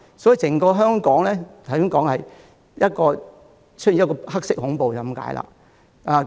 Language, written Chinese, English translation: Cantonese, 所以，整個香港可說是出現了黑色恐怖。, Black terror has thus emerged practically everywhere throughout the entire territory